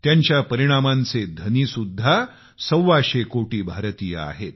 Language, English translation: Marathi, The outcome also belongs to 125 crore Indians